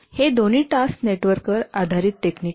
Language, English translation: Marathi, Both of these are task network based techniques